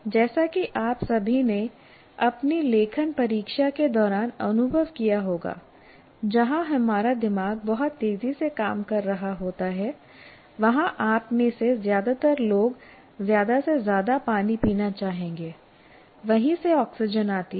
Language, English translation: Hindi, As you all know, during your writing exam, where our brain is functioning very fast, you, many, most of the people would want to drink more water